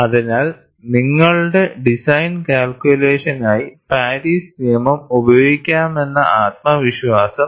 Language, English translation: Malayalam, So, this gives a confidence that Paris law could be utilized for your design calculation